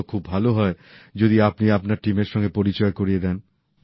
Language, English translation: Bengali, Then it would be better if you introduce your team